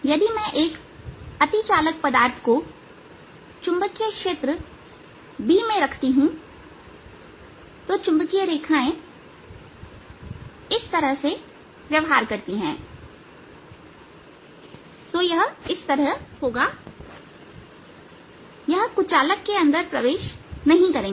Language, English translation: Hindi, if i place a superconducting material in a magnetic field b, so the magnetic field lines behave like this, so it will be like it will not enter inside the dielectric